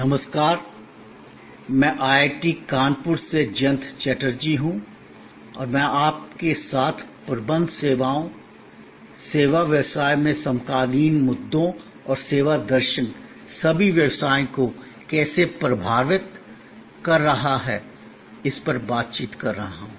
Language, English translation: Hindi, Hello, I am Jayanta Chatterjee from IIT Kanpur and I am interacting with you on Managing Services, contemporary issues in the service business and how the service philosophy is influencing all businesses